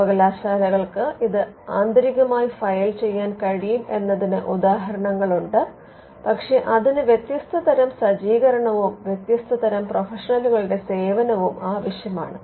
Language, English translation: Malayalam, There are instances where the universities can also file it internally, but it will require a different kind of a setup and different kind of professionals to do that